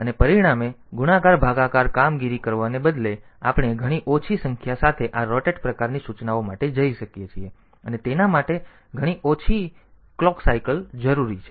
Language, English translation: Gujarati, And as a result, instead of going for costly multiplication division operation, so we can go for this rotate type of instruction with much less number of clock cycles needed